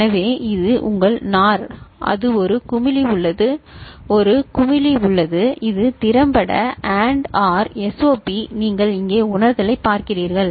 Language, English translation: Tamil, So, this is your NOR, that is there is a bubble, there is a bubble so effectively it is a AND OR SOP you know, realization that you see here